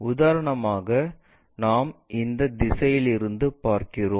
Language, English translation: Tamil, For example, we are looking from this direction